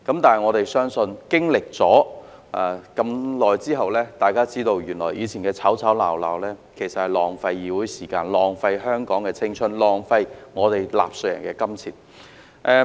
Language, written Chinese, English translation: Cantonese, 但是，相信經歷了這麼長時間後，大家已知道以前的吵吵鬧鬧，其實是在浪費議會時間、浪費香港的青春、浪費納稅人的金錢。, Yet after such a long time of unrest I think we should all realize that previous disputes and controversies have actually wasted the time of this legislature the precious time of Hong Kong and a lot of taxpayers money